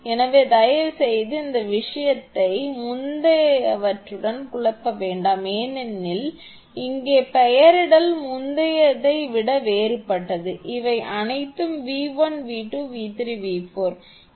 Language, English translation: Tamil, So, please do not this thing confuse with the previous one because here nomenclature is different than the previous one these are all small v 1, small v 2, small v 3 small v 4